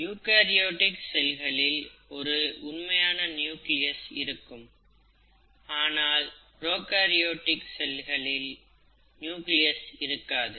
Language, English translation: Tamil, Eukaryotic cell has a true nucleus, a prokaryotic cell does not have a well defined nucleus